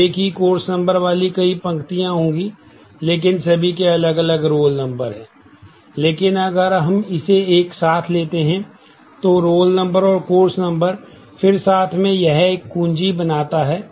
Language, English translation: Hindi, So, there will be multiple rows having the same course number, but all different roll numbers, but if we take this together, roll number and course number together then that forms a key